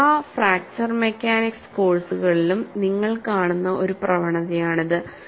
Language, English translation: Malayalam, This is one trend you will see in all fracture mechanics courses